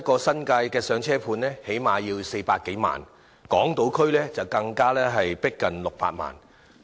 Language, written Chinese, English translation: Cantonese, 新界的"上車盤"最低限度要400多萬元一個，港島區的則更逼近600萬元。, A flat for first - time home buyer in the New Territories costs at least some 4 million; and a flat on the Hong Kong Island may reach 6 million